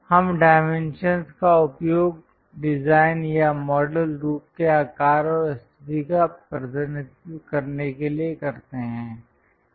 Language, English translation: Hindi, We use dimension to represent size and position of the design or model shape